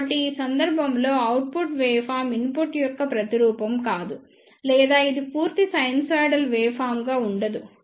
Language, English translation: Telugu, So, in this case the output waveform will not be the replica of input or it will not be a complete sinusoidal waveform